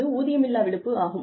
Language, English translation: Tamil, That is why, it would be called unpaid leave